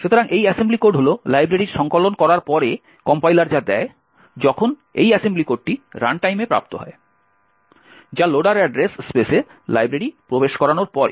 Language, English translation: Bengali, So, this assembly code is what the compiler gives out after compilation of the library, while this assembly code is what is obtained at runtime after the loader has inserted the library into the address space